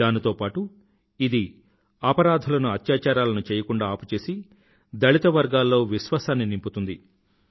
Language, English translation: Telugu, This will also forbid criminals from indulging in atrocities and will instill confidence among the dalit communities